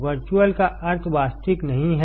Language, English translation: Hindi, Virtual means not real